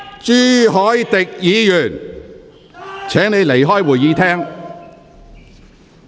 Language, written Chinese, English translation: Cantonese, 朱凱廸議員，請你離開會議廳。, Mr CHU Hoi - dick please leave the Chamber